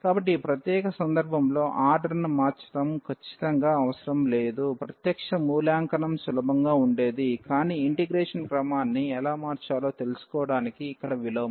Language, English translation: Telugu, So, in this particular case it was absolutely not necessary to change the order in fact, the direct evaluation would have been easier; but, here the inverse to learn how to change the order of integration